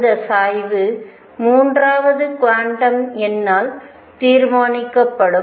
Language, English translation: Tamil, And that tilt is going to be decided by a third quantum number